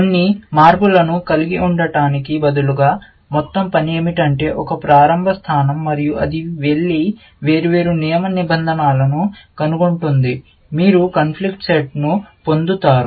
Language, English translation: Telugu, Instead of just having a few changes, the whole working that is a starting point, and it will go and figure out different set of rules; you will get the conflict set